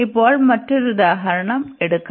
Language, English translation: Malayalam, So, we will take another example now